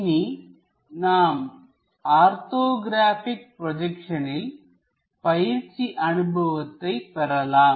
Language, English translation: Tamil, So, now we will have hands on experience for this orthographic projections